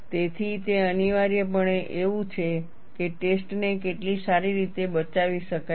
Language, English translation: Gujarati, So, it is essentially like, how well a test can be salvaged